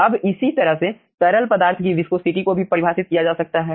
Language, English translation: Hindi, in the similar fashion viscosity of the fluid can also be defined